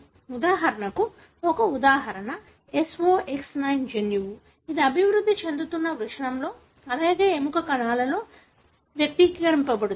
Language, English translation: Telugu, For example, one example is SOX9 gene, which is expressed in the developing testis, as well as in the bone cells